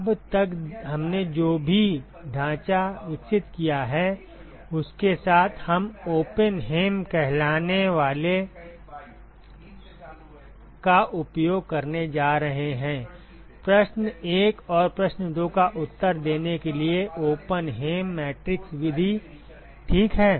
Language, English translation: Hindi, With whatever framework that we have developed so far, so, we are going to use what is called the Oppenheim; Oppenheim matrix method to answer question 1 and question 2 ok